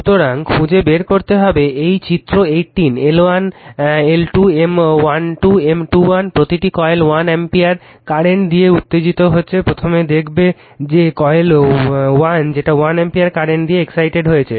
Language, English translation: Bengali, So, you have to find out this is figure 18, L 1, L 2, M 1 2, M 2 1 each coil is excited with 1 ampere current first will see that coil 1 is excited with 1 ampere current right